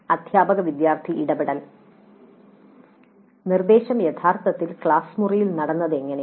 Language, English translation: Malayalam, Teacher student interactions, how did the instruction take place actually in the classroom